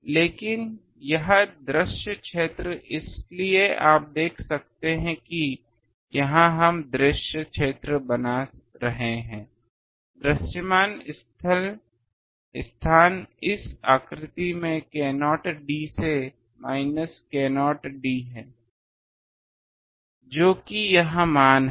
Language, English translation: Hindi, So, ok, but this visible region so you can see that is why here we are making the visible region, is visible space is k 0 d to minus k 0 d in this figure which is this value